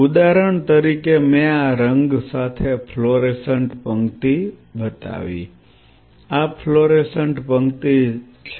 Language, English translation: Gujarati, Say for example, I showed the fluorescent row with this color this is the fluorescent row out here this is the fluorescent row